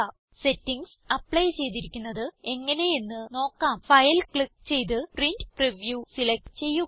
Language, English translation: Malayalam, To check how the settings have been applied, click File and select Print Preview